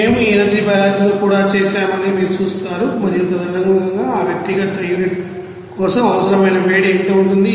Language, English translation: Telugu, And you will see that we have done also that you know that energy balance and accordingly what will be the heat required for that individual unit